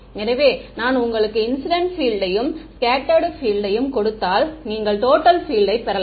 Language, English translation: Tamil, So, if I give you incident field and the scattered field from that you can get total field right